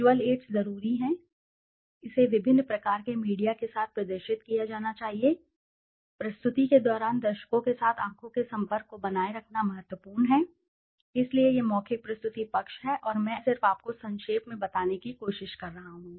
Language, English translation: Hindi, Visual aids are a must, should be displayed with a variety of media, it is important to maintain eye contact with the audience during the presentation, so this is the oral presentation side and I am just trying to brief you